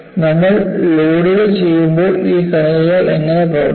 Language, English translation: Malayalam, And we have to see under loads, how do these particles behave